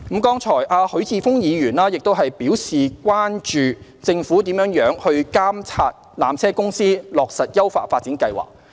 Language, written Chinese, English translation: Cantonese, 剛才許智峯議員表示關注政府如何監察纜車公司落實優化發展計劃。, Earlier on Mr HUI Chi - fung expressed concern about how the Government monitors PTCs implementation of the upgrading plan